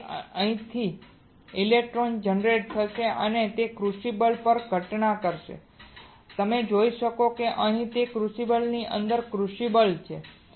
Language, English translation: Gujarati, So, electron generates from here will band and it will in we get incident on the crucible you see there is a crucible here and within the crucible